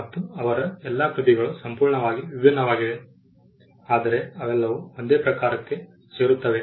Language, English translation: Kannada, And almost all her works are entirely different though they all fall within the same genre